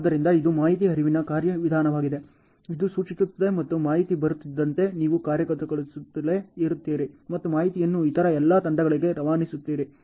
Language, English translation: Kannada, So, this is an information flow mechanism ok, which implies and as an information arrives, you keep executing, and also passing on the information to every other team